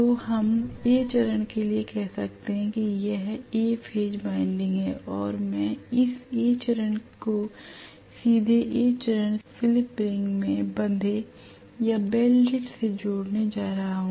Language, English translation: Hindi, So this is let us say for A phase, so may be this is A phase winding and I am going to connect this A phase directly to the A phase slip ring brazed or welded